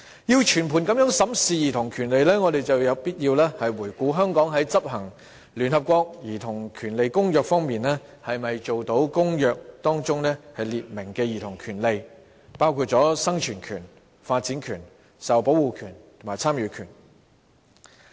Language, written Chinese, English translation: Cantonese, 要全盤審視兒童權利，我們有必要回顧香港在執行聯合國《兒童權利公約》方面，有否達到《公約》中列明的有關兒童權利的規定，包括生存權、發展權、受保護權和參與權。, To comprehensively examine childrens rights it is necessary for us to review whether Hong Kong in implementing the United Nations Convention on the Rights of the Child has met the requirements set out in the Convention in respect of childrens rights including the rights to survival development protection and participation . When the Subcommittee was in operation the incident of the death of a little girl called Lam Lam unfortunately occurred